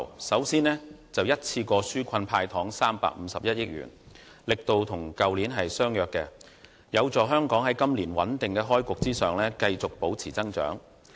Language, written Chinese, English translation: Cantonese, 首先，他一次過紓困"派糖 "351 億元，力度與去年相若，有助香港在今年穩定開局之餘繼續保持增長。, First of all the Financial Secretary will offer a one - off sweetener amounting to 35.1 billion which is similar in scale to that of last year to facilitate a stable debut and maintain growth for Hong Kong this year